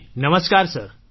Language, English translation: Gujarati, Ji Namaskar Sir